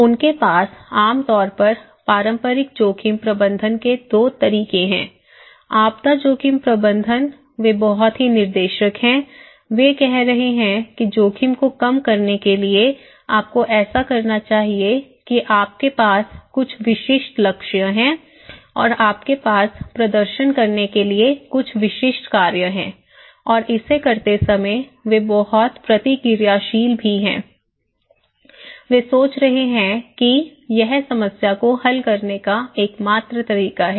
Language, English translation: Hindi, They generally have 2 way of conventional risk management; disaster risk management, they are very directive, they are saying that okay in order to reduce the risk, you should do that you have some specific goals and you have some specific actions to perform and while doing it, they are also very reactive, they think that this is the only way to solve the problem, okay, this is the only way to solve the problem